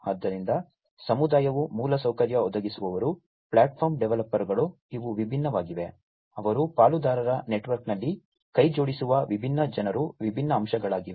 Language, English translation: Kannada, So, the community the infrastructure providers, the platform developers, these are different, you know, they are the different aspects that different people that join hands in the partner network